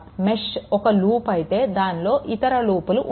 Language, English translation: Telugu, If mesh is a loop it does not contain any other loop within it right